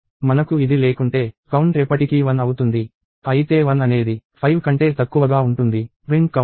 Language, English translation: Telugu, If we do not have this, count would be 1 forever while 1 is less than equal to 5; print count